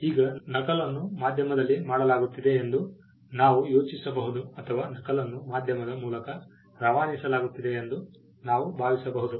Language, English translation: Kannada, Now, we can think about copy is being made an on a medium or we can think of copy is being transmitted through a medium